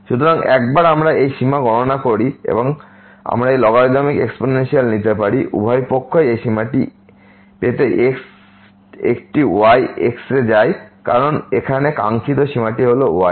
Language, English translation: Bengali, So, once we compute this limit and we can take this algorithm exponential both the sides to get this limit goes to a because this was the desired limit here this was the